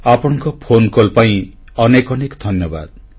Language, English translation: Odia, Thank you very much for your phone call